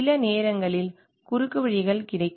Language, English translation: Tamil, There will be sometimes shortcuts available